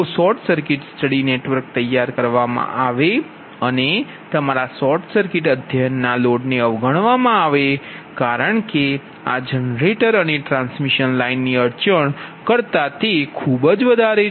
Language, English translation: Gujarati, however, in formulating short circuit study network, right, your short circuit study the load impedances are ignored because these are very much larger than the impedances of the generator and transmission lines